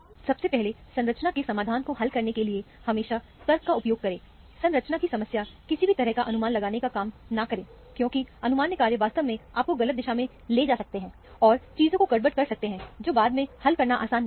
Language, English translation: Hindi, First of all, always use logic to solve the structures of, structure elucidation problem; do not do any kind of a guess work; because, guess work can actually lead you in the wrong direction, and end up in a mess of things, which is not easy to solve afterwards